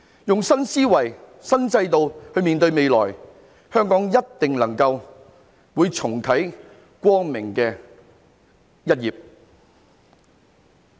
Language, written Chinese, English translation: Cantonese, 以新思維、新制度面對未來，香港一定能夠重啟光明的一頁。, Hong Kong will certainly manage to turn a bright page again by facing the future with a new mindset and a new system